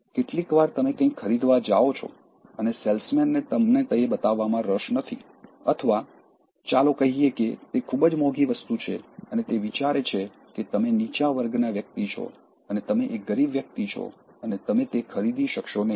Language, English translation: Gujarati, Sometimes, you go for buying something and the salesman is not interested in showing that to you or let us say it is a very expensive thing and he thinks that you are a low class person and you are a poor guy and you will not be able to buy that